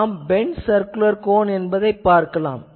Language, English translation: Tamil, So, we will see that bent circular cone